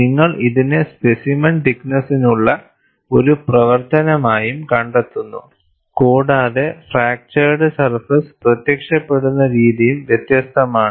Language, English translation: Malayalam, And you also find, as a function of specimen thickness, the way the fractured surface will appear is also different